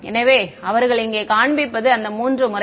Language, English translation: Tamil, So, what they are showing here are those three modes